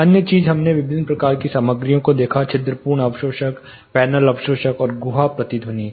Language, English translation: Hindi, Other thing we looked at the different type of materials; porous absorbers, panel absorbers, and cavity resonators